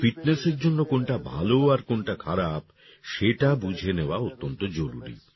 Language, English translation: Bengali, It is very important that we understand what is good and what is bad for our fitness